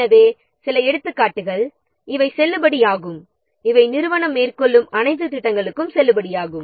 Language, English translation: Tamil, So, some of the examples are, so these are valid, these remain valid for all the projects that the organization undertake